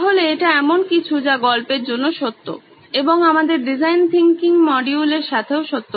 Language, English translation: Bengali, So that’s something that are true with stories, is true with our design thinking module as well